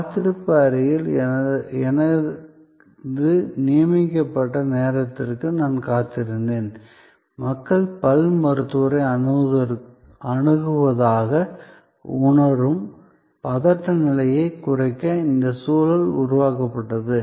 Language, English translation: Tamil, I waited for my appointed time in the waiting room, where the ambiance was created to, sort of bring down the anxiety level, which people feel when they visit the dentist